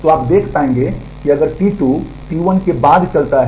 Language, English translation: Hindi, So, you will be able to see that if T 2 runs after T 1